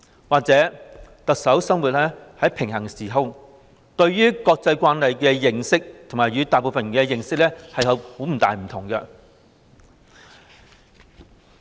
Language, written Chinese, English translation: Cantonese, 或許特首生活在平行時空，對於"國際慣例"的認識與大部分人不同。, Perhaps the Chief Executive lives in a parallel universe and so her understanding of international practice is different from most people